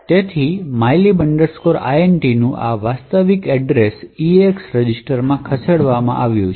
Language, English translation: Gujarati, So, this actual address of mylib int is move into the EAX register